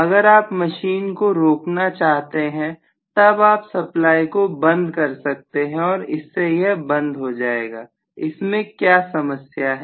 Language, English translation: Hindi, Stopping the machine, you cut off the supply it will stop, what is the problem